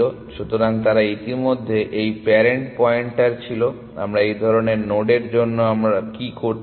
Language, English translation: Bengali, So, they already had this parent pointer, what do we do for such nods, or what do we want to do